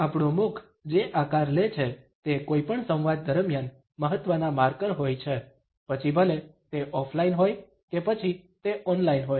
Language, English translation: Gujarati, The shapes our mouth takes are important markers during any dialogue, whether it is offline or it is online